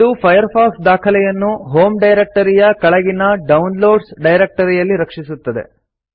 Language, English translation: Kannada, This will save Firefox archive to the Downloads directory under the Home directory